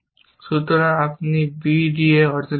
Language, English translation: Bengali, So, you would get a b d